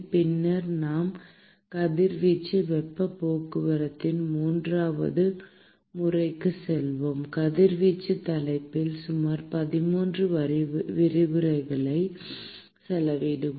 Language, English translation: Tamil, And then we will go into the third mode of heat transport which is the radiation, we will spend about 13 lectures in the radiation topic